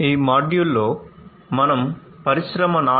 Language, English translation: Telugu, So, in this module, we are going to talk about Industry 4